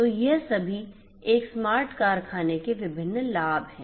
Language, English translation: Hindi, So, all of these are different different benefits of a smart factory